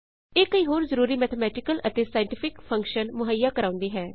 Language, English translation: Punjabi, It provides many other important mathematical and scientific functions